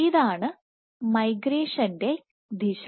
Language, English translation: Malayalam, So, this is the direction of migration